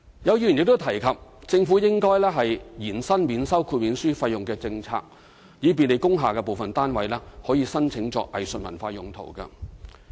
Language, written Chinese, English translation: Cantonese, 有議員亦提及政府應延伸免收豁免書費用的政策，以便利工廈部分單位可以申請作藝術文化用途。, Some Members also mentioned that the Government should extend the waiver fee exemption to facilitate the use of industrial building units for arts and cultural uses